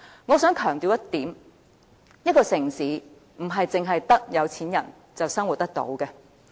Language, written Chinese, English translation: Cantonese, 我想強調一點，一個城市不止是有錢人才能生活。, I want to emphasize the point that a city must be livable not only to rich people